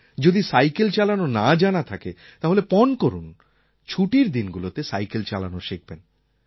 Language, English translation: Bengali, If you don't know how to cycle, can you resolve to learn cycling during the holidays